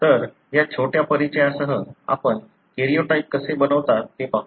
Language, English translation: Marathi, So, with this little introduction, let us look into how do you make karyotype